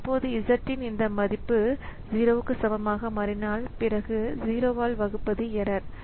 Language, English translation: Tamil, Now, if this value of z becomes equal to 0, then that is a division by 0 error